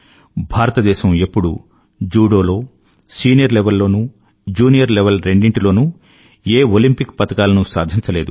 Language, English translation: Telugu, Hitherto, India had never won a medal in a Judo event, at the junior or senior level